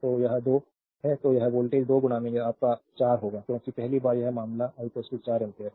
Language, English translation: Hindi, So, this it is 2 I so, here voltage will be 2 into your 4 because first case this case it is I is equal to 4 ampere